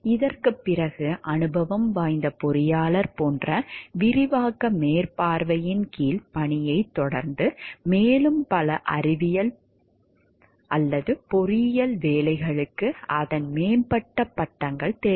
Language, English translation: Tamil, After this it is followed by work under the supervision of an expand like experienced engineer, then more many engineering jobs require its advanced degrees we are the bachelors degree